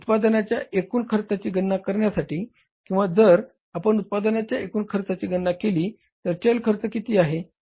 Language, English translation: Marathi, To calculate the total cost of production, if you calculate the total cost of production, what is the variable cost